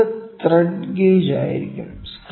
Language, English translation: Malayalam, So, the next one will be thread gauge